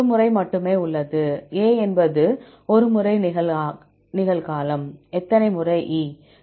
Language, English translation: Tamil, There is only once; A is a present once; how many times E